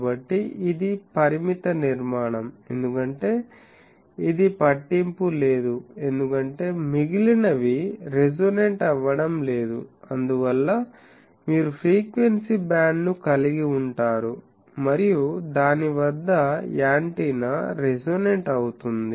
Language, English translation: Telugu, So, this is the finite structure, because it does not matter, because others are not resonating, so that is why you can have a frequency band and over that there is antenna is radio resonating